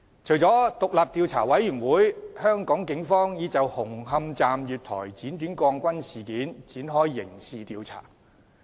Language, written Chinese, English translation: Cantonese, 除了獨立調查委員會，警方亦已就紅磡站月台剪短鋼筋事件展開刑事調查。, Apart from the Commission of Inquiry the Police have also commenced a criminal investigation into the incident of steel bars at the platforms of Hung Hom Station being cut short